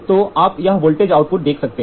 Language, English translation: Hindi, So, you see here voltage output